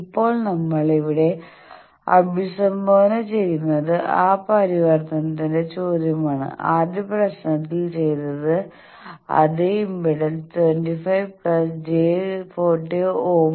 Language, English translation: Malayalam, Now the question of that conversion we are addressing here, that same impedance 25 plus j 40 ohm which have done in first problem